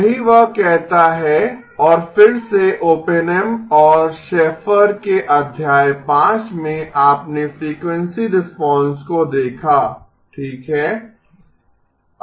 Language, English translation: Hindi, That is what this says and again in chapter 5 of Oppenheim and Shaffer you looked at frequency response right